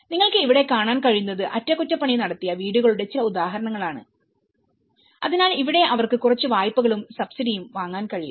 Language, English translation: Malayalam, What you can see here is some examples of the repaired houses so here they could able to procure some loans and subsidies